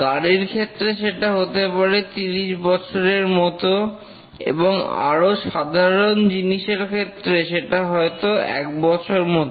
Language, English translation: Bengali, For a automobile or something it may be let's say for a period of 30 years or something and for a simpler system it may be one year and so on